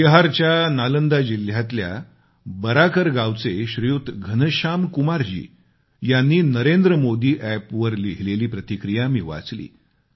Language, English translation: Marathi, Shriman Ghanshyam Kumar ji of Village Baraakar, District Nalanda, Bihar I read your comments written on the Narendra Modi App